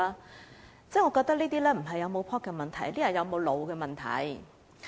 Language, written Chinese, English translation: Cantonese, 我認為這並非是否夠 "pop" 的問題，而是有沒有腦子的問題。, I believe this is not a matter of having enough pluck or not rather it is a matter of having brains or not